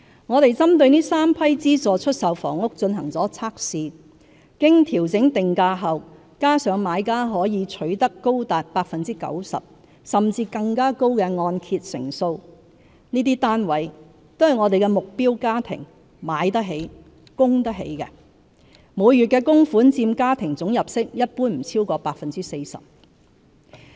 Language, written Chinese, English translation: Cantonese, 我們針對這3批資助出售房屋進行了測試，經調整定價後，加上買家可取得高達 90% 甚或更高的按揭成數，這些單位都是目標家庭"買得起"、"供得起"的，每月的供款佔家庭總入息一般不會超過 40%。, We have conducted tests on these three batches of SSFs . With prices adjusted and a loan - to - value ratio as high as 90 % or above the SSF units are affordable to the target households . The monthly payment will generally not exceed 40 % of the total household income